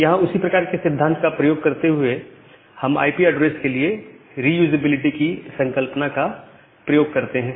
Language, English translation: Hindi, So, here by borrowing the similar kind of principle, we use the concept of reusability for IP addresses